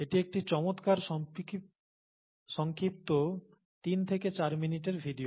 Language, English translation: Bengali, It’s a nice short, let’s say 3 to 4 minute video, I think